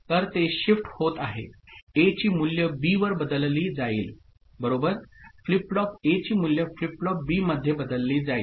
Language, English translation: Marathi, So, it is getting shifted, value of A getting shifted to B ok, flip flop A value is getting shifted to flip flop B